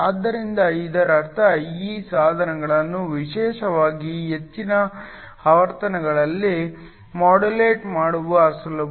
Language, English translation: Kannada, So, This means, it is easy to modulate these devices especially at high frequencies